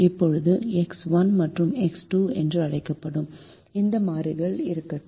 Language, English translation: Tamil, now let those variables be called x one and x two